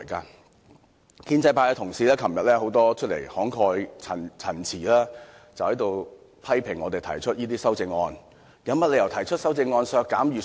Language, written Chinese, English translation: Cantonese, 很多建制派同事昨天慷慨陳詞，批評我們提出這些修正案，問我們有甚麼理由提出修正案削減預算呢？, In their impassioned speeches yesterday many pro - establishment Members lashed out at us for putting forward all these amendments and questioned why we should have proposed the reduction of the expenditure estimates